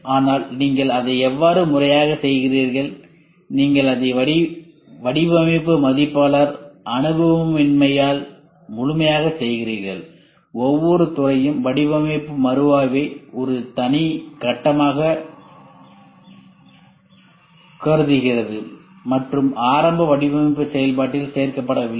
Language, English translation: Tamil, But how do you do it systematically you do it and thoroughly you do it lack of design reviewer experience each department considers design review a separate stage and not include in the initial design process